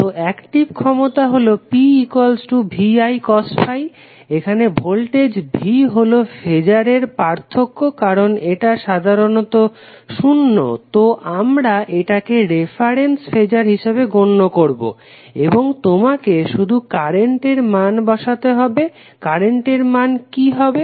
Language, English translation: Bengali, So, active power is nothing but VI cos phi, here voltage V is a difference phasor because it is generally 0 so we are considering it as a reference phasor and then you have to simply put the value of current, current would be what